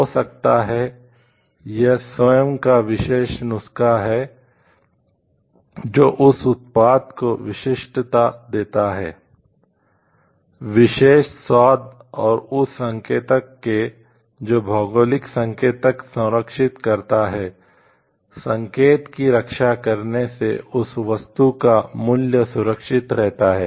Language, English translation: Hindi, Maybe, it is own special recipe which gives uniqueness to that product, special taste to it, and indicators of that the geographical indicators preserves; protecting the indication preserves that value of that item